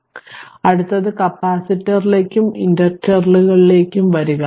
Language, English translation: Malayalam, So, next you come to the capacitor and inductors